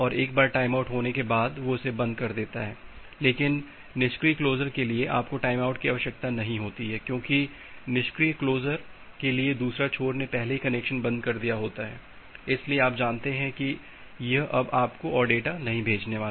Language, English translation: Hindi, Once the timeout occurs they close it, but for the passive close you do not require the timeout because, for the passive close the other end has already closed the connection, so you know that it is not going to send anymore data to you